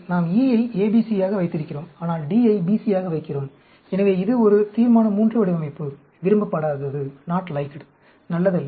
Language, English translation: Tamil, We put E as ABC, but we put D as BC; so, this is a Resolution III design; not liked; not good